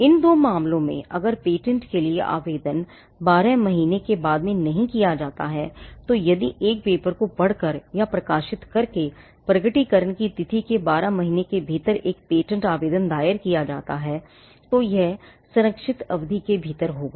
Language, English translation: Hindi, In these two cases if the application for the patent is made in not later than twelve months, that is from the date of disclosure by way of reading a paper or publishing a paper within twelve months if a patent application is filed then it would be within the protected period